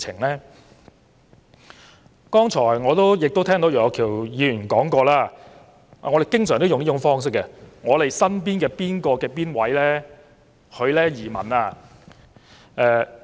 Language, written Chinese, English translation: Cantonese, 我剛才亦聽到楊岳橋議員提及——我們經常也採用這種方式——我們身邊的某某移民了。, I heard Mr Alvin YEUNG mention just now that a certain acquaintance around him―a form of rhetoric commonly used among us―has emigrated